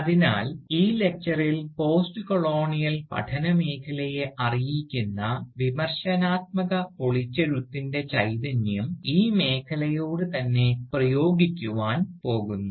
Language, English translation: Malayalam, So, in this lecture, I will try to apply the spirit of critical dismantling that informs postcolonial studies to the field of postcolonial studies itself